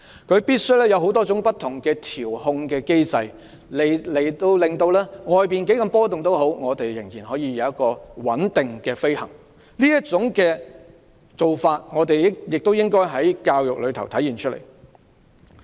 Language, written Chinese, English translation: Cantonese, 他必須有多種不同的調控技術，無論外面氣流如何波動，飛機仍然能穩定飛行，這種做法亦應該在教育上體現出來。, He must have different control skills to stabilize the plane so that the plane will fly steadily no matter how strong the turbulence is . The same should apply to the education system